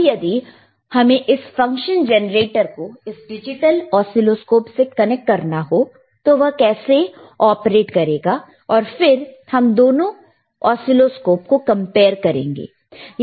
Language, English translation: Hindi, Right now, let us see, that if you want to connect this person function generator to the digital oscilloscope how it will operate, aall right, and then we will compare both the oscilloscopes